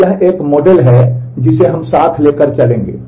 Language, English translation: Hindi, So, this is a model that we will go with